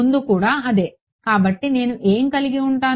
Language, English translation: Telugu, Same as before right; so, what will I have